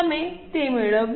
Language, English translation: Gujarati, Have you got it